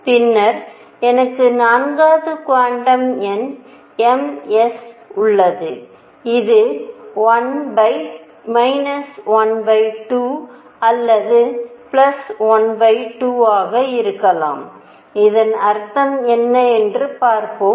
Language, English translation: Tamil, And then I have the 4th quantum number m s which could be minus half or plus half, let us see what does it mean